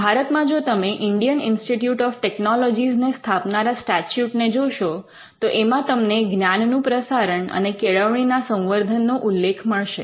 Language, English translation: Gujarati, Know if you look at the statute that establishes the Indian Institute of Technologies in India, you will find that it refers to advancement of learning and dissemination of knowledge